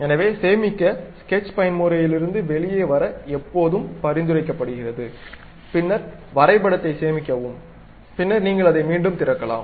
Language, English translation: Tamil, So, it is always recommended to come out of sketch mode, then save the drawing, and later you you you can reopen it